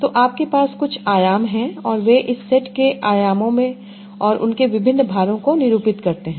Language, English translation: Hindi, So you are having some dimensions and they are representation of words in these set of dimensions